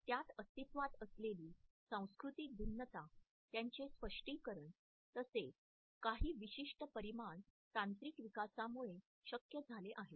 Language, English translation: Marathi, The cultural variations which exist in it is interpretation as well as certain other dimensions which have become possible because of technological development